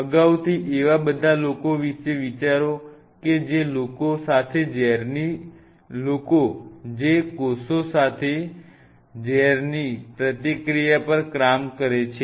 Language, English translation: Gujarati, So, think in advance all there are people who work on kind of an interaction of toxins with the cells